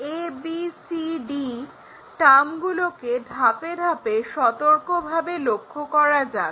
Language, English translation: Bengali, Let us carefully look at these ABCD terms step by step